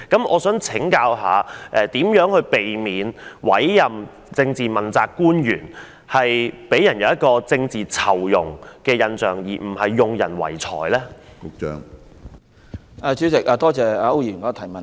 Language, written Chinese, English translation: Cantonese, 我想請問局長，如何避免問責官員的委任工作，給人政治酬庸而不是用人唯才的印象？, May I ask the Secretary how to avoid giving people the impression that the appointment of accountability officials is handing out political rewards rather than basing on merits?